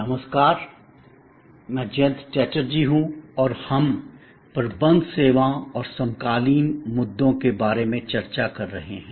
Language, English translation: Hindi, Hello, I am Jayanta Chatterjee and we are discussing about Managing Services and the Contemporary Issues